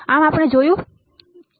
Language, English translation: Gujarati, This is what we have seen